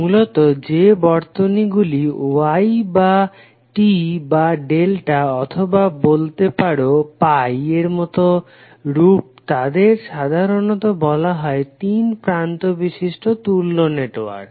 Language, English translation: Bengali, Basically, those circuits which are in the form of Y or t or delta or alternatively you could pi networks are generally considered as 3 terminal networks